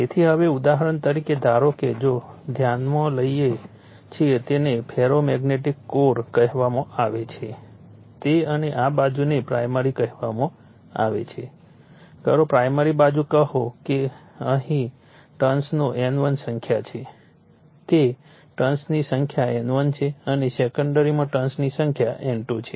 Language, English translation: Gujarati, So, now, for example, suppose, if you consider your what you call a ferromagnetic core and you have your primary this side we call primary side say you have N1 number of turns here, it is N1 number of turns and you have the secondary you have N2 number of turns